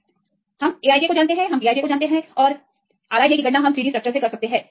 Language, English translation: Hindi, Then this equation, we know A i j; we can calculate B i j and R i j we can calculate from 3D structures